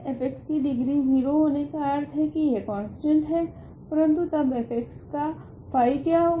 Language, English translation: Hindi, Degree of f x is 0 means f x is a constant, but then what is phi of f of x